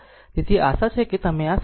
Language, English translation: Gujarati, So, hope you are understanding this